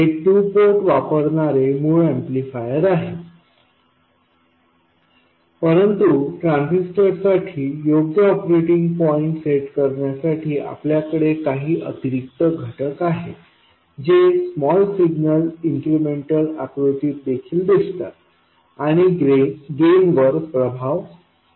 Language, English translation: Marathi, It is the basic amplifier using the 2 port but to set up the correct operating point for the transistor, we have some additional components which also appear in the small signal incremental picture and influence the gain